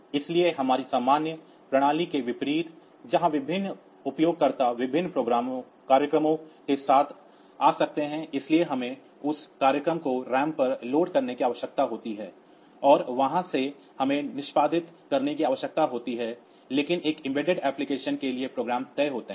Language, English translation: Hindi, So, unlike our general system where different users may come up with different programs so we need to load that programs on to RAM and from there we need to execute, but for an embedded application the programs are fixed